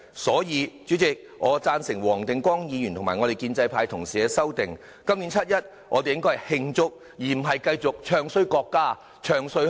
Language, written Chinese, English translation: Cantonese, 因此，主席，我贊成黃定光議員和建制派同事的修正案，今年七一，我們應該慶祝，而不是繼續"唱衰"國家，"唱衰"香港。, For this reason President I support the amendments of Mr WONG Ting - kwong and another pro - establishment Member . On 1 July this year we should celebrate rather than continue to bad - mouth the country and Hong Kong